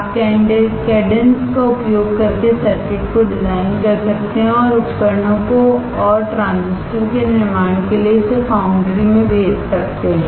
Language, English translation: Hindi, You can design the circuits using cadence and you can send it to the foundry to manufacture the devices and transistors